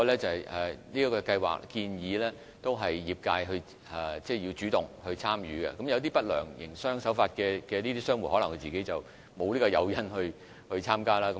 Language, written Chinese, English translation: Cantonese, 此外，計劃鼓勵業界主動參與，但一些營商手法不良的商戶可能沒有參加的誘因。, Moreover the scheme encourages active participation by the industry but unscrupulous traders may not have the incentive to participate